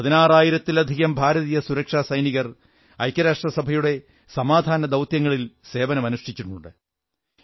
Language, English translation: Malayalam, More than 18 thousand Indian security personnel have lent their services in UN Peacekeeping Operations